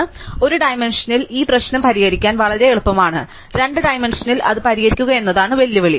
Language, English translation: Malayalam, So, in one dimension this problem is very easy to solve, the challenge is to solve it in two dimensions